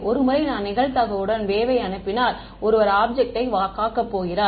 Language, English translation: Tamil, Once I send the wave with probability one is going to hit the object